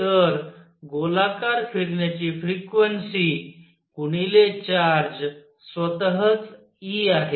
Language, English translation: Marathi, So, the frequency of going around times the charge itself e